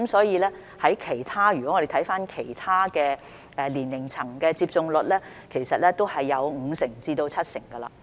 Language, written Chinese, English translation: Cantonese, 如果我們看看其他年齡層的接種率，其實都有五成至七成。, As regards other age groups the vaccination rates actually range from 50 % to 70 %